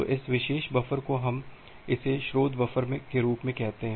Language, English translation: Hindi, So, this particular buffer we call it as a source buffer